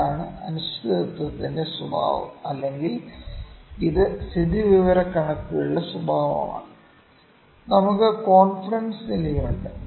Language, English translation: Malayalam, This is the characteristic of uncertainty or this is the characteristic of statistics as well that we have such as confidence level